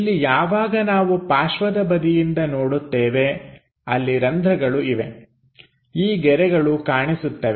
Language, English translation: Kannada, Here there are holes when we are looking from the side view, these lines will be visible